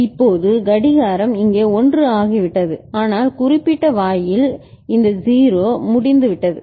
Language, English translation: Tamil, Now clock has become 1 here, but this particular gate this 0 is over there